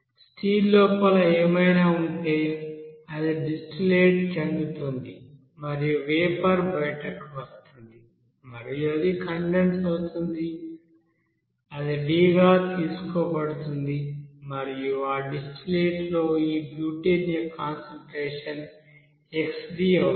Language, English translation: Telugu, Now that you know that distillate whatever will be there inside that you know steel that will be coming out as a vapor and it will be after that condensed it will be you know taken as some D amount and where this butane concentration in that distillate you know amount would be xD